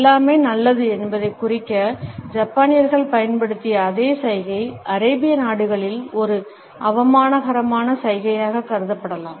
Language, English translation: Tamil, The same gesture which the Japanese used to indicate that everything is good can be treated as an insulting gesture in Arabian countries